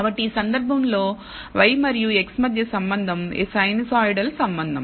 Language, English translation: Telugu, So, this is a relationship between y and x in this case is a sinusoidal relationship